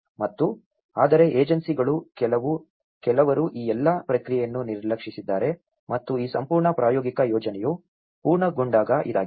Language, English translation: Kannada, And but the agencies some have they have ignored all this process and when this whole pilot project has been finished